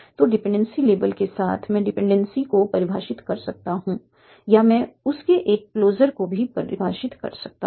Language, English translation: Hindi, So with the dependency labels I can define a single dependency or I can also define a closure of that